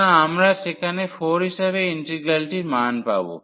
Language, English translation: Bengali, So, we will get 4 the integral value there